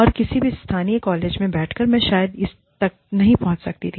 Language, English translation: Hindi, And, sitting in any local college, I would probably not have, had access to this